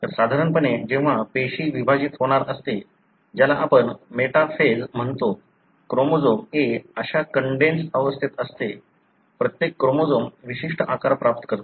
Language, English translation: Marathi, So, normally when the cell is about to divide, what you call metaphase, the chromosome is at a, such a condensed stage, each chromosome attains a particular shape